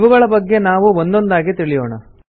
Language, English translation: Kannada, We will learn about each one of them one by one